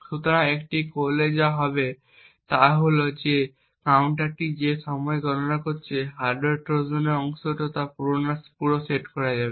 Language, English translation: Bengali, So, by doing so what would happen is that the counter which is counting the time elapsed and is part of the hardware Trojan would also get reset